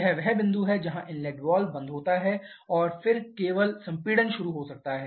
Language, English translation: Hindi, This is the point where inlet valve closes and then only the compression can start